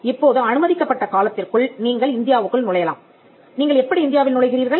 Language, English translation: Tamil, Now within the time period allowed, you can enter India